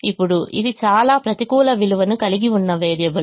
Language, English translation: Telugu, now this is the variable that has the most negative value